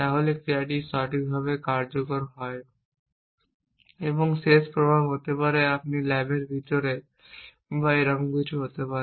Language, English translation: Bengali, And the end effects could be you could be inside the lab or something like that